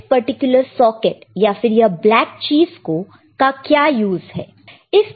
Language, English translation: Hindi, What is a use for this particular socket or black thing